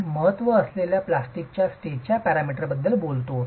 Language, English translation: Marathi, We talked about the plastic stage parameters that are of importance